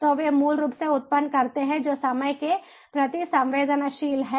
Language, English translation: Hindi, so they they basically generate data which are time sensitivity in nature